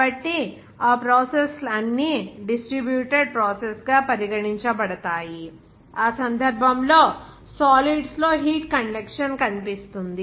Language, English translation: Telugu, So all those processes are regarded as a distributed process, wherein that case will see heat conduction in solids